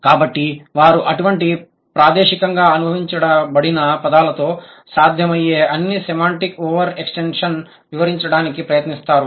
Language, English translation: Telugu, So, they tried to relate all possible semantic over extensions with such spatially connected words